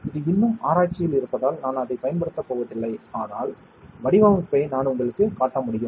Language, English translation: Tamil, I will not going to the application of it because it is still under research, but I can show you the design as such